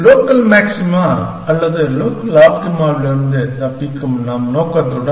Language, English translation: Tamil, With our objective of escaping local maxima or local optima